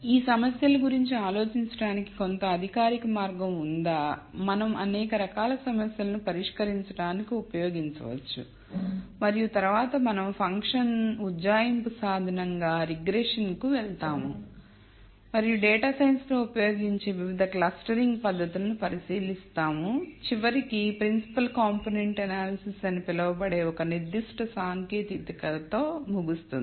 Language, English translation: Telugu, Is there some formal way of thinking about these problems; that we can use to solve a variety of problems and then we will move on to regression as a function approximation tool and we will look at different clustering techniques that are used in data science and then we will nally conclude with one particular technique called principle component analysis which is very useful for engineers and end with more general example of how one solves real life data science problems